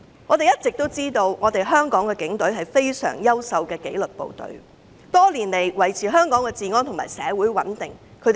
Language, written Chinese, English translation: Cantonese, 我們一向都知道，香港警隊是非常優秀的紀律部隊，多年來默默耕耘，維持香港的治安和社會穩定。, We have always known that the Hong Kong Police Force is an excellent disciplined force . The Police have been working diligently in silence for many years to maintain law and order and social stability in Hong Kong